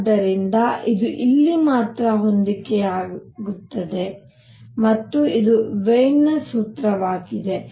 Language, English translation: Kannada, So, it matches only here and this is Wien’s formula